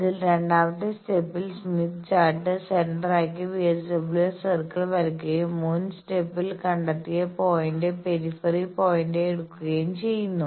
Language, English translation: Malayalam, So, the second step is draw VSWR circle by taking Smith Chart centre as centre, and the point found in previous step as the peripheral point